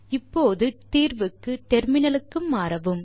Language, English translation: Tamil, So for solution, we will switch to terminal